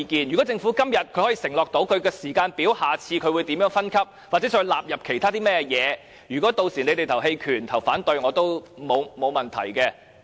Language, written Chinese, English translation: Cantonese, 如果政府今天可以承諾制訂時間表，並在下次開會詳述將如何分級或進一步納入其他電器，那麼屆時大家表決棄權或反對，我也沒有問題。, If the Government undertakes today to draw a schedule and illustrate in detail at the next meeting how it is going to refine the grading system or further include other electrical appliances in the scheme I have no strong views whether Members vote against my motion or abstain from voting